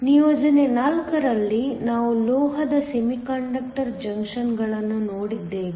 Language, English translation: Kannada, In assignment 4, we looked at metal semiconductor junctions